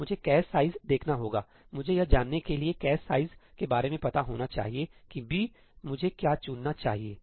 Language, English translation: Hindi, So, I have to look at the cache size, I have to be aware of the cache size to know that what is the ëbí I should choose